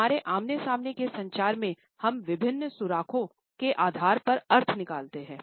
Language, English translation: Hindi, In our face to face communication we make out the meanings on the basis of different clues